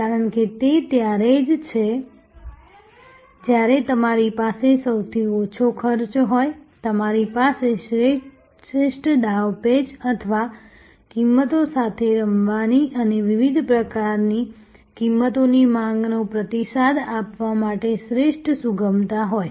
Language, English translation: Gujarati, Because, it is only when you have the lowest costs, you have the best maneuverability or the best flexibility to play with pricing and respond to different types of price demands